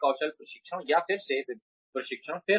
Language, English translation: Hindi, New skills training or retraining